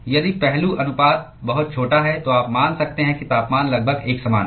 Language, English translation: Hindi, If the aspect ratio is very small then you can assume that the temperature is almost uniform